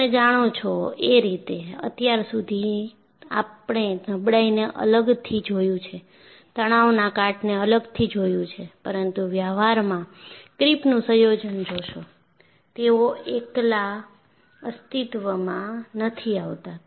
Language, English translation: Gujarati, You know, so far, we have seen fatigue separately, stress corrosion cracking separately, and creep, but in practice, you will find the combination of this, they do not exist in isolation